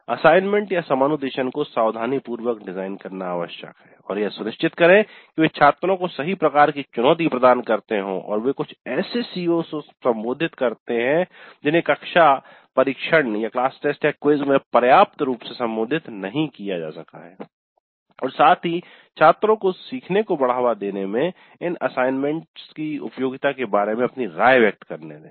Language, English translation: Hindi, So it is necessary to design the assignments carefully and ensure that they do provide right kind of challenge to the students and they address some of the CEOs which cannot be adequately addressed in classroom test surfaces and let the students express their view regarding the usefulness of these assignments in promoting learning